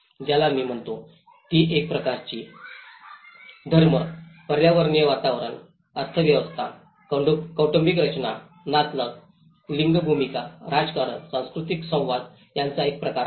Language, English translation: Marathi, Which she calls it is a kind of matrix of religion, ecological environment, economy, family structure, kinship, gender roles, politics, cultural interaction